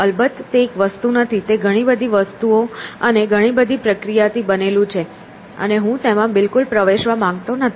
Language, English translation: Gujarati, Of course, it is not one thing; it is made up of so many things and so many processes and I do not want to get into that at all